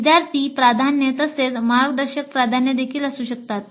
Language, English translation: Marathi, There could be student preferences as well as guide preferences